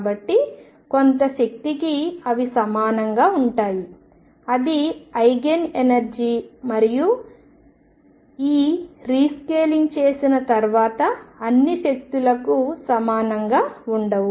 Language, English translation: Telugu, So, for some energy they are equal and that is Eigen energy they will not be equal for all energies after all this rescaling has been done